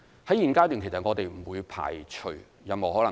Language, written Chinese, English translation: Cantonese, 目前階段，我們不會排除任何可能性。, At the present stage we will not rule out any possibility